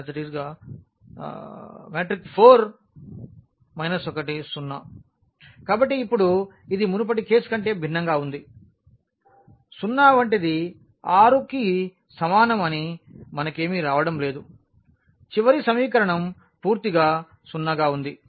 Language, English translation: Telugu, So, now this is different than the previous case we are not getting anything like 0 is equal to 6 we were getting the last equation is completely 0